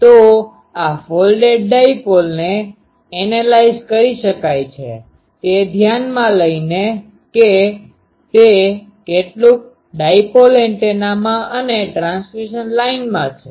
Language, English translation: Gujarati, So, this folded dipole can be analyzed by considering that it is some of in dipole antenna and a transmission line